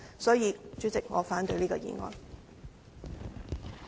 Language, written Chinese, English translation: Cantonese, 代理主席，我反對這項議案。, Deputy President I oppose this motion